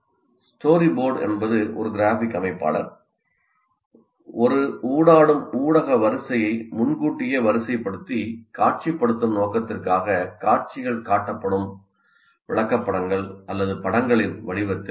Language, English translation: Tamil, A story board is a graphic organizer in the form of illustrations are images displayed in sequence for the purpose of pre visualizing an interactive media sequence